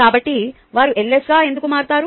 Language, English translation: Telugu, so why do they become ls